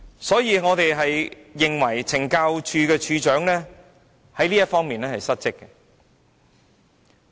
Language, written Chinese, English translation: Cantonese, 所以，我們認為署長在這方面是失職的。, Therefore I think the Commissioner has failed to do his job well in this regard